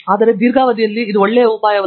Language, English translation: Kannada, But, in the long run that is not a good idea